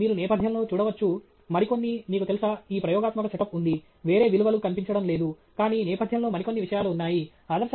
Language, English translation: Telugu, But you can see in the background, some other, you know, there is this experimental setup that is there, there are no values flashing, but there are a few other things that are there in the background